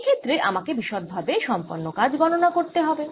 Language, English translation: Bengali, in this case i explicitly must calculate the work done